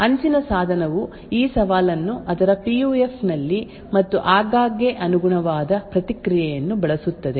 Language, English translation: Kannada, The edge device would then use this challenge in its PUF and often the corresponding response, so that response is sent back to the server